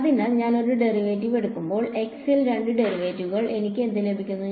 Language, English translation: Malayalam, So, when I take a derivative, two derivatives in x, what will I get